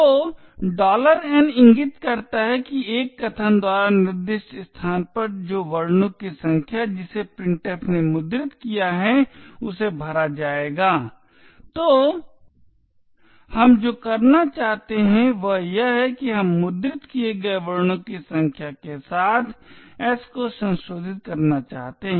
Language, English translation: Hindi, So the $n indicates that at the location specified by an argument the number of characters that printf has printed would be filled, so what we do intend to do is that we want to modify s with the number of characters that has been printed